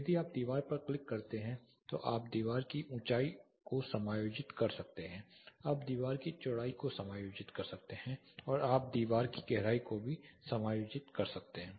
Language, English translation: Hindi, If you click on the wall you can adjust the height of the wall you can adjust the width of the wall and you can also adjust the depth of the wall